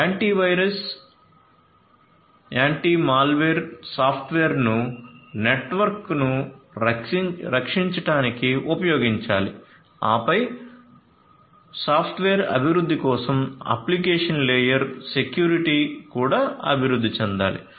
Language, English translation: Telugu, Antivirus antimalware software should be should be used in order to protect the network, then application layer security for protection of the software after it is development that also should be done